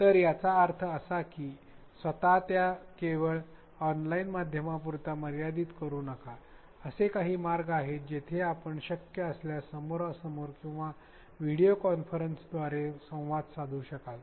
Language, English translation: Marathi, So, this means that do not limit yourself only to the online medium, have some ways at least a few where there may be a synchronous interaction either face to face if you can if that situation is possible or via videoconferencing